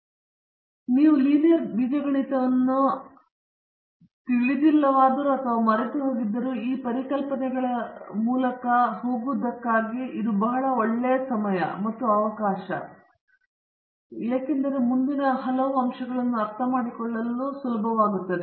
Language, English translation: Kannada, Now, but even if you donÕt know linear algebra or you have forgotten, it is very good time and opportunity to go through this concepts quickly and then understand what I am going to say next